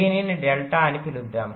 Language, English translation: Telugu, lets call it delta